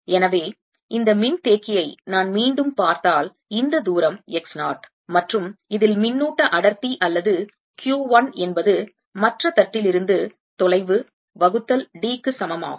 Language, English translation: Tamil, so when, if i look at this capacitor again, this distance was x zero and the charge density or q one on this is equal to nothing but q, the distance from the other plate, divide by d the minus sign